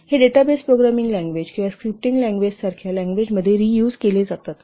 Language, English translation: Marathi, These are we used with languages such as database programming languages or scripting languages